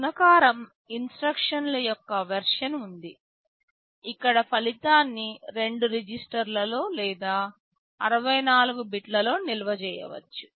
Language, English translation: Telugu, There is a version of multiply instruction where the result can be stored in two registers or 64 bits